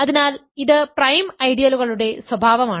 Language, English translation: Malayalam, So, this is the characterization of prime ideals